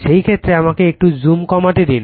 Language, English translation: Bengali, In this case let me let me reduce the zoom little bit